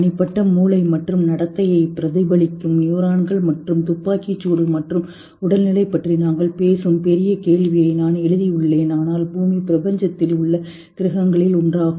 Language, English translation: Tamil, We are talking at individual brain and behavior and mirror neurons and firing and physicality and but Earth is just one of the planets in universe